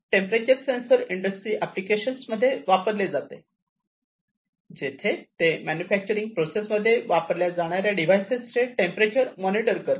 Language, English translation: Marathi, So, this temperature sensor could be used in industrial applications, to check the temperature or to monitor continuously monitor the temperature of the different devices that are being used in the manufacturing process